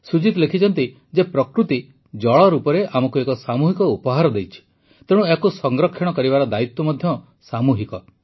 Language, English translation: Odia, Sujit ji has written that Nature has bestowed upon us a collective gift in the form of Water; hence the responsibility of saving it is also collective